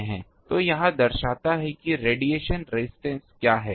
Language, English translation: Hindi, So, this shows that what is the radiation resistance